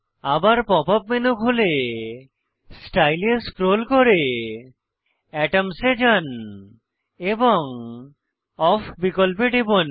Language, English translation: Bengali, Open the pop up menu again and go to Style scroll down to Atoms and click on Off option